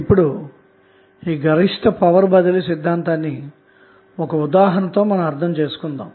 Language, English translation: Telugu, Now, let us understand the maximum power transfer theorem with the help of 1 example